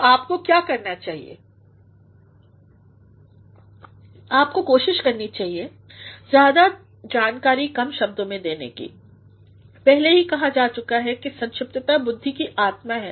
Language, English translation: Hindi, So, what you should do is, you should try to provide more information in fewer words; it has already been said that brevity is the soul of wit